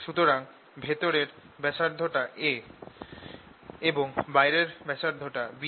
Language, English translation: Bengali, so this radius is a and let the outer radius be b